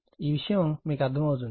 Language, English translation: Telugu, It is understandable to you